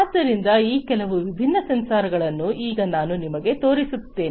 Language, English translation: Kannada, So, let me now show you some of these different sensors